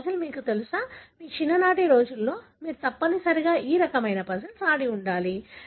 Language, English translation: Telugu, This puzzle is, you know, you have, you must have played this kind of puzzles during your childhood days